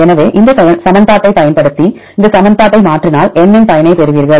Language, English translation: Tamil, So, use this equation then if you change this equation to get the N effective right